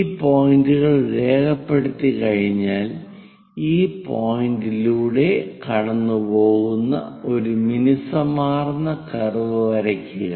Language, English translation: Malayalam, Once these points are noted down draw a smooth curve which pass through these points